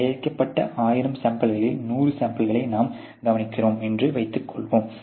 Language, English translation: Tamil, Let us say you are observing 100 samples out of thousand which have been produced